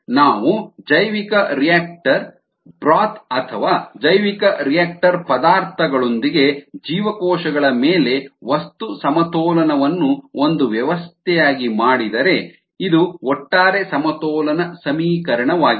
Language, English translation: Kannada, if we do a material balance on cells with the bioreactor contents or the bioreactor broth as a system, this is the overall balance equation